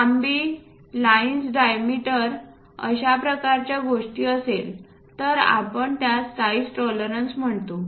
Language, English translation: Marathi, In terms of lines lengths diameter that kind of thing what we call size tolerances